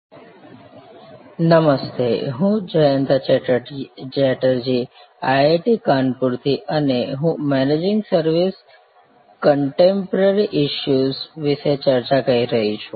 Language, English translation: Gujarati, Hello, this is Jayanta Chatterjee from IIT, Kanpur and we are discussing Managing Services a Contemporary Issues